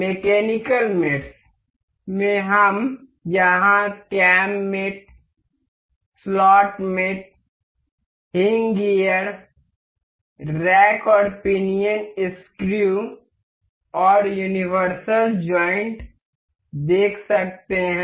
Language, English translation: Hindi, In the mechanical mates we can see here the cam mate, slot mate, hinge gear, rack and pinion screw and universal joint